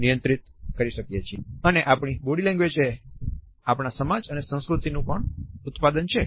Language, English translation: Gujarati, At the same time our body language is also a product of our society and culture